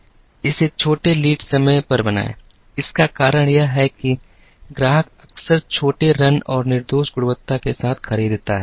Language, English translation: Hindi, Make it on shorter lead times; this is because the customer would buy frequently with smaller runs and flawless quality